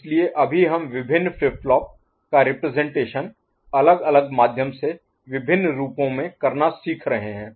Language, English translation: Hindi, So, right now we are learning how to represent flip flops in various forms, through various representations